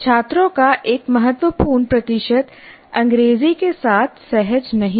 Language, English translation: Hindi, And you can say for significant percentage of the students, they are not that comfortable with English